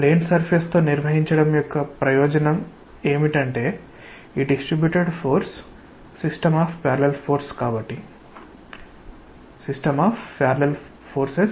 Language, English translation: Telugu, The advantage of handling with a plane surface is that this distributed force is a system of parallel forces